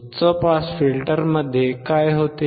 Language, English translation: Marathi, What happens in high pass filter